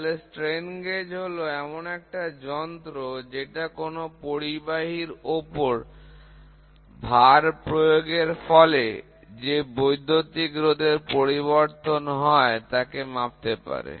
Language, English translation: Bengali, So, a strain gauge is an equipment which is used to measure the change in electrical resistance of a conductor because you cannot use an insulator, of a conductor by applying load